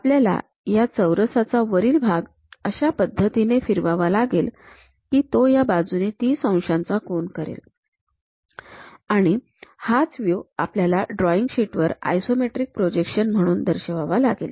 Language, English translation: Marathi, So, from top view we are looking at it, we have to rotate that square top face in such a way that it makes 30 degree angle with these edges; that view we have to present it on the drawing sheet as an isometric projection